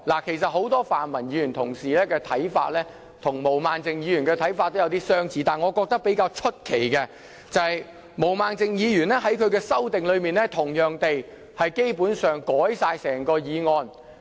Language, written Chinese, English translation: Cantonese, 其實很多泛民議員的看法跟毛孟靜議員的看法有點相似。但是，我覺得比較奇怪的是，毛孟靜議員在她的修訂裏面同樣地，基本上修改了整項原議案。, In fact many pan - democratic Members have similar views as Ms Claudia MO but I feel strange that Ms Claudia MO has also proposed an amendment that almost completely rewrite the original motion